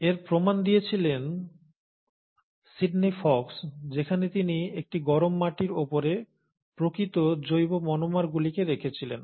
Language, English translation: Bengali, And the proof of this was then supplied by Sydney Fox where he went about dripping actual organic monomers onto a hot clay